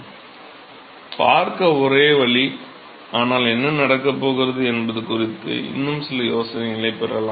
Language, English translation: Tamil, So, one way to look at is, but still we can get some iterative idea as to what is going to happen